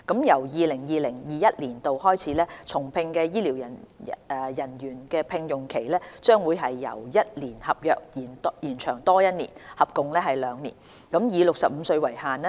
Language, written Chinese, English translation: Cantonese, 由 2020-2021 年度開始，重聘的醫療人員的聘用期將會由1年合約，延長多1年，合共兩年，以65歲為限。, Starting from 2020 - 2021 the contract period for rehired medical staff will be extended from one year to two years up to the age of 65